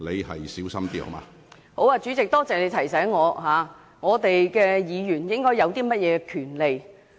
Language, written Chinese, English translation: Cantonese, 好的，主席，多謝你提醒我議員應有甚麼權利。, Yes Chairman thank you for reminding me the powers Members are entitled to